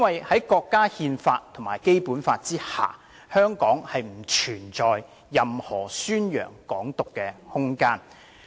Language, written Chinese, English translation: Cantonese, 在國家憲法及《基本法》下，香港不存在任何宣揚"港獨"的空間。, Under the Constitution of the country and the Basic Law there is no room for propagation of Hong Kong independence in Hong Kong